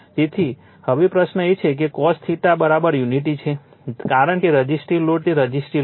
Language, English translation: Gujarati, So, now question is that cos theta is equal to unity, because resistive load right it is a resistive load